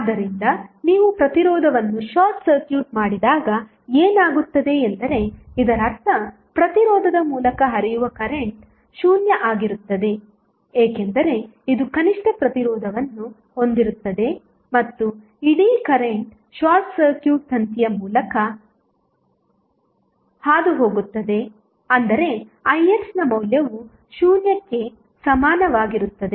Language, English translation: Kannada, So, what happens when you short circuit resistance that means that the current flowing through resistance will be 0, because this will have the least resistance and whole current will pass through the short circuit wire that means that the value of Ix would be equal to 0